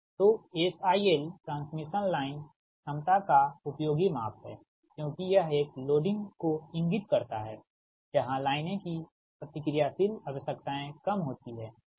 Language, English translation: Hindi, i l is useful measure of transmission line capacity as it indicates a loading where the lines reactive requirements are small right